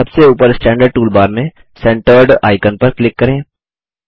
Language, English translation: Hindi, Click on Centered icon in the Standard toolbar at the top